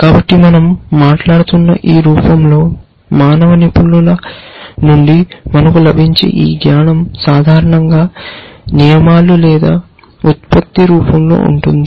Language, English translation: Telugu, So, this knowledge of that we get from human experts in this form that we are talking about was generally in the form of rules or productions essentially